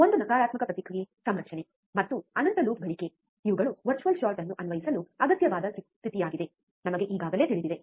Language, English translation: Kannada, One is negative feedback configuration, and infinite loop gain these are the required condition to apply virtual short, we already know